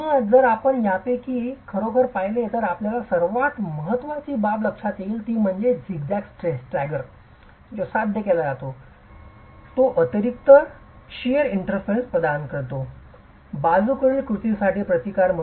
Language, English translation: Marathi, So, if you actually look at any of these, the most important aspect that you will notice is this zigzag stagger that is achieved which is providing additional shear interfaces providing resistance for lateral action